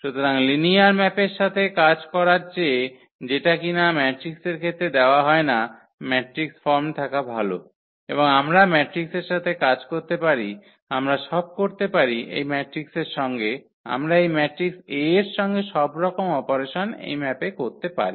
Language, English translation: Bengali, So, in speed of working with linear map which is not given in the in the form of the matrix it is better to have a matrix form and then we can work with the matrix we can do all operations whatever we want on this map with this matrix here A